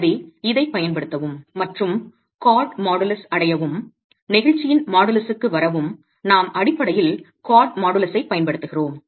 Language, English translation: Tamil, So, to be able to use this and arrive at the chord modulus, arrive at the modulus of elasticity, we basically make use of the cord modulus